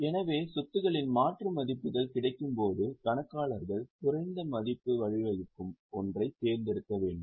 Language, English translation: Tamil, So, when the alternative values of assets are available, accountants need to choose the one which leads to lesser value